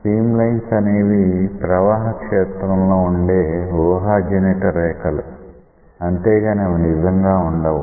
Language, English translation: Telugu, Stream lines are imaginary lines in the flow field these are not existing in reality so, imaginary lines